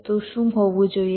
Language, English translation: Gujarati, so what should be